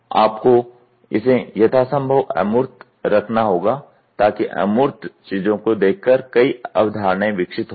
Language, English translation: Hindi, You have to keep it as abstract as possible so that by looking at the abstract things many concepts get evolved